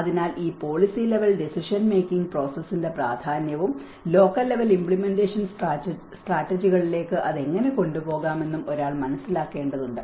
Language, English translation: Malayalam, So, one has to understand that importance of this policy level decision making process and how it can be taken to the local level implementation strategies